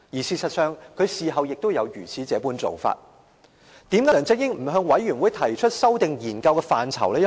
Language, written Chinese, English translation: Cantonese, 事實上，他事後也有這樣做法。為甚麼一開始梁振英不向專責委員會提出修訂研究的範疇？, In fact he did so afterwards but why didnt he propose to the Select Committee to amend the areas of study at the outset?